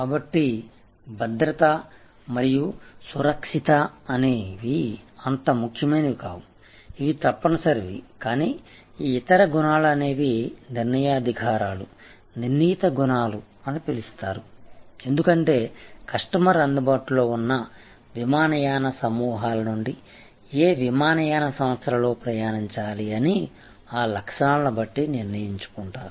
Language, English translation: Telugu, So, they are not as important as safety and security, which is mandatory, but these other sets of attributes are determinants, there are called determined attributes, because the customer uses those attributes to determine which airlines to fly from a cluster of airlines available to them, who all have qualified for safety and security